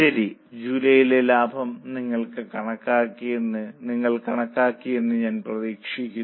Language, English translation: Malayalam, I hope you have calculated the profit for July